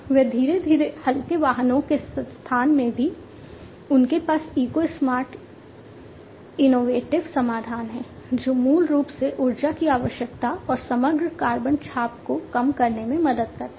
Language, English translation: Hindi, They are also gradually into the lightweight vehicles space, they have the eco smart innovative solution, which basically helps in reducing the energy requirement and the overall carbon footprint